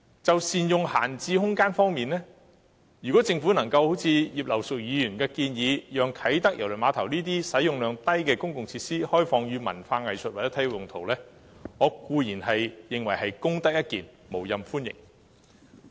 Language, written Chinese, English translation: Cantonese, 就善用閒置空間方面，如政府能夠一如葉劉淑儀議員所建議，開放啟德郵輪碼頭這個使用量低的公共設施作為文化藝術或體育用途，我固然認為是功德一件，無任歡迎。, As for the proper use of idle sites I think it will be a merit if the Government can adopt Mrs Regina IPs proposal on opening public facilities with a low utilization rate such as the Kai Tak Cruise Terminal for cultural arts or sports uses and I will welcome the Government in doing so